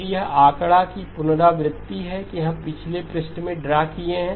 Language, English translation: Hindi, Again, this is a repetition of the figure that we drew in the last previous page